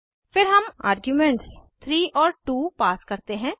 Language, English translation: Hindi, Then we pass arguments as 3 and 2